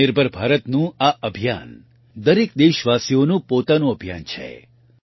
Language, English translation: Gujarati, This campaign of 'Atmanirbhar Bharat' is the every countryman's own campaign